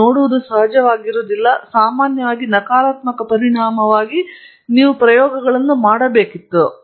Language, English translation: Kannada, You are seeing does not have to of course, normally for a negative result, you should have done experiments too